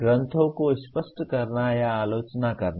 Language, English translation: Hindi, Clarifying or critiquing texts